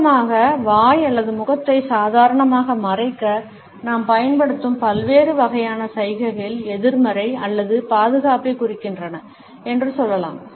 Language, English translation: Tamil, In brief, we can say that different types of gestures, which we use to cover over mouth or face normally, indicate either negativity or defense